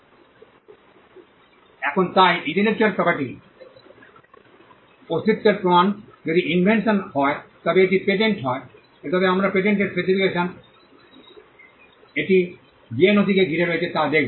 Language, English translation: Bengali, Now so, the proof of the existence of intellectual property if it is a patent if it is an invention, then we would look at the patent specification, the document that encompasses it